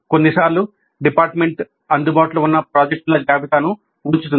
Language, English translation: Telugu, Sometimes the department puts up a list of the projects available